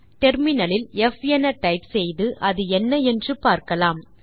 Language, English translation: Tamil, Let us type f on the terminal to see what it is